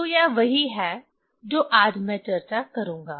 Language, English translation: Hindi, So, that is that is what I will discussed today